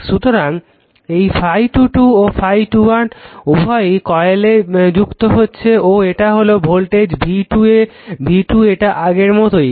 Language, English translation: Bengali, So, this phi 2 2 and phi 2 1 both linking coil 2 and this is the voltage v 2 this is your same as before